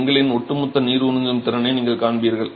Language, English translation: Tamil, You get the overall water absorption capacity of the brick